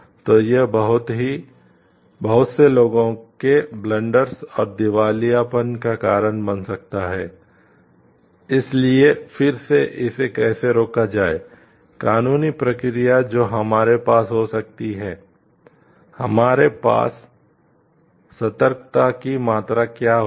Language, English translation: Hindi, So, it can lead to blunders and bankruptcy of lot of people, so again who is going to stop it how like, what are the legal procedures that we may have, what is the degree of vigilance that we will be having